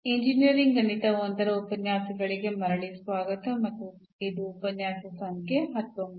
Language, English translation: Kannada, So, welcome back to the lectures on Engineering Mathematics I and this is lecture number 19